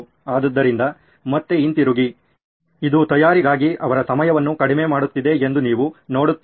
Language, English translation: Kannada, So again going back, do you see that this is reducing their time for preparation